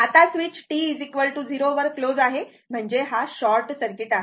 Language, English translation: Marathi, Now, switch is closed at t is equal to 0 mean this is short circuit